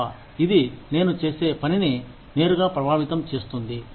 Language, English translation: Telugu, Unless, it is going to, directly affect the work, that i do